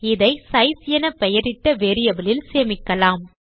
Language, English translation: Tamil, So lets save that in a variable called size